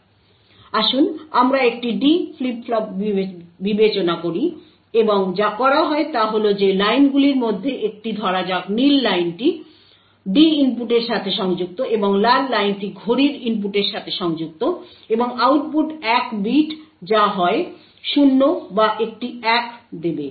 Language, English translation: Bengali, So, let us consider a D flip flop and what is done is that one of the lines let us say the blue line is connected to the D input and the Red Line is connected to the clock input and output is one bit which will give you either 0 or a 1